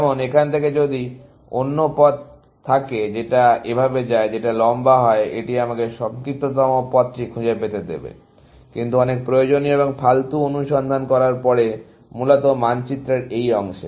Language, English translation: Bengali, For example, if there is another path from here, which goes like this, which is longer; it will find me the shortest path, but after doing a lot of unnecessary and useless search, in this part of the map, essentially